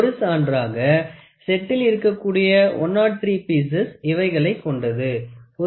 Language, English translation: Tamil, So, for instance the set of 103 pieces consist of the following: One piece of 1